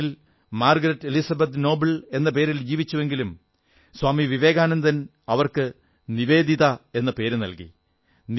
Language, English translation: Malayalam, She was born in Ireland as Margret Elizabeth Noble but Swami Vivekanand gave her the name NIVEDITA